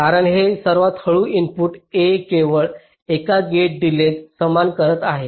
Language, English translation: Marathi, because this slowest input a is encountering only one gate delay